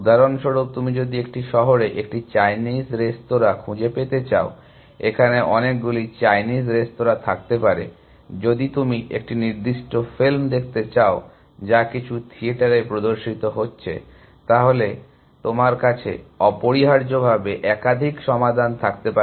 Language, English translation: Bengali, So, for example, if you are looking for a Chinese restaurant in a city, they may be many Chinese restaurants, if you are looking for a particular film, which is showing in some theater, you may have more than one solution essentially